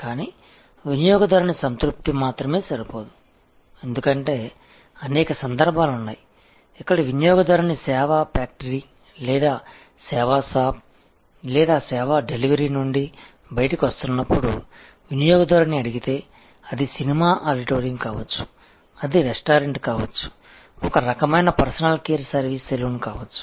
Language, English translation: Telugu, But, just customer satisfaction enough is not enough, because there are many instances, where if you ask the customer as the customer is coming out of the service factory or the service shop or the place of delivery of service, be it a movie auditorium, be it a restaurant, be it a some kind of personnel care service saloon